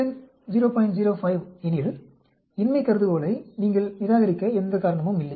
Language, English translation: Tamil, 05, then of course there is no reason for you to reject the null hypothesis